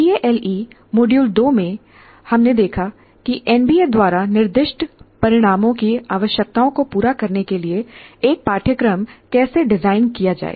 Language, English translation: Hindi, And in the tail module two, we looked at how to design a course in to meet the requirements of what do you call outcomes specified by the NBA